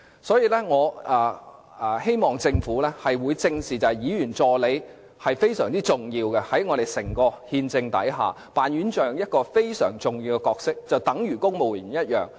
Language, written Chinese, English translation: Cantonese, 所以，我希望政府能夠正視議員助理的重要性，他們在整個憲制架構下擔當非常重要的角色，與公務員一樣。, This is why I hope the Government can address squarely the significance of the assistants for like civil servants they play a very important role in the constitutional framework as a whole